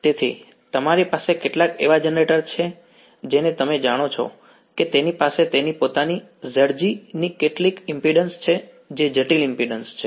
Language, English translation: Gujarati, So, you have some you know generator it has some impedance of its own Z g is the complex impedance